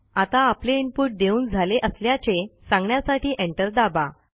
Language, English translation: Marathi, Now press Enter key to indicate the end of input